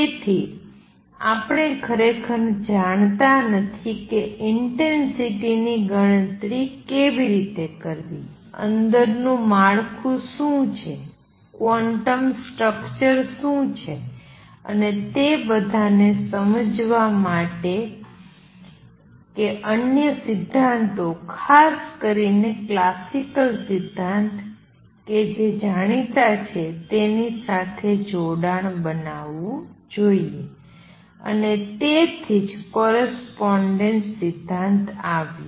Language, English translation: Gujarati, So, we do not really know; how to calculate intensities, what is the structure inside, what is the quantum structure and to understand all that one had to make connections with other theories particularly classical theory which is well known and that is where the correspondence principle came in